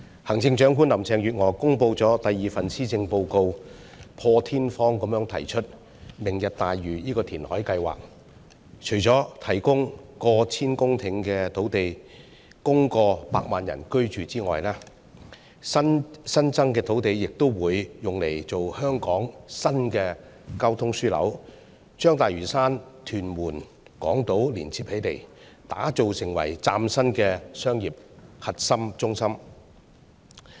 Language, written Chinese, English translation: Cantonese, 行政長官林鄭月娥公布了第二份施政報告，破天荒地提出"明日大嶼"這項填海計劃。除了提供逾千公頃土地供超過百萬人居住外，新增的土地也會用作香港新的交通樞紐，把大嶼山、屯門、港島連接起來，打造成為嶄新的商業核心中心。, In the second Policy Address she delivered the Chief Executive Mrs Carrie LAM proposed the unprecedented reclamation plan Lantau Tomorrow which will provide more than a thousand hectares of land not just for housing over 1 million population but also for development as a new transport hub that links Lantau Island Tuen Mun and Hong Kong Island and as a brand new core business district in Hong Kong